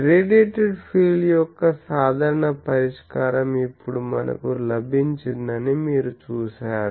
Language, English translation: Telugu, So, you see that now we got that the general solution of the radiated fields we got